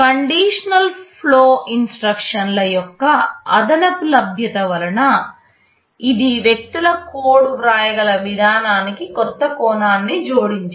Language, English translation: Telugu, The addition of conditional execution instructions, this has added a new dimension to the way people can write codes